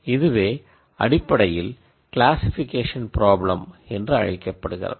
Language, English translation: Tamil, So, that is typically what is called as classification problem